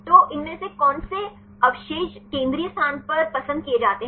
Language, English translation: Hindi, So, from this one which residues are preferred at the central position